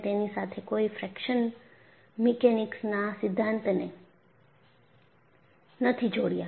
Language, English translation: Gujarati, You have not attached the fraction mechanics theory to it